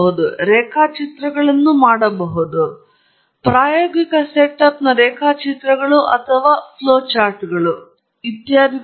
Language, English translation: Kannada, You can make drawings; drawings of an experimental setup or drawing of a flow that is happening etcetera